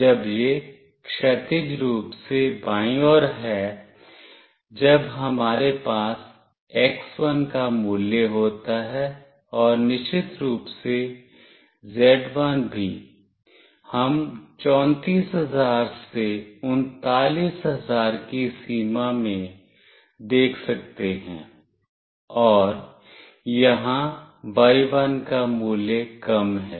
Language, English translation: Hindi, When it is horizontally left, when we have the value of x1, and of course z1 also we can see in the range of 34000 to 39000, and y1 value is less here